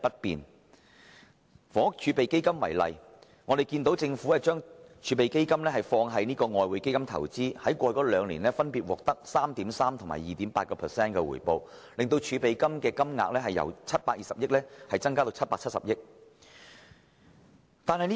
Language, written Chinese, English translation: Cantonese, 以房屋儲備金為例，政府把儲備金投資於外匯基金，在過去兩年分別獲得 3.3% 及 2.8% 的回報，令儲備金的金額由720億元增加至770億元。, Take the Housing Reserve as an example . The Government has placed it with the Exchange Fund for investment with the annual rate of return at 3.3 % and 2.8 % respectively over the past two years thereby increasing the Reserve from 72 billion to 77 billion